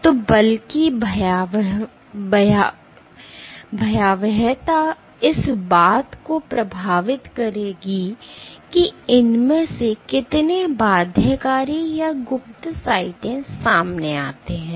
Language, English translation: Hindi, So, the magnitude of the force will influence how many of these binding or cryptic sides get exposed